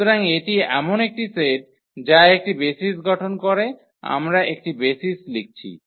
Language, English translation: Bengali, So, this is a set which form a basis we are writing a basis